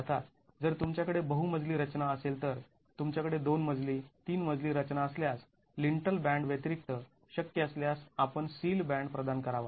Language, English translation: Marathi, Of course if you have multi storied structures, if you have two story, three storied structure, in addition to the lintel band if possible you should provide the sill band